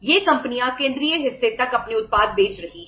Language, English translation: Hindi, These companies are selling their product up to the central part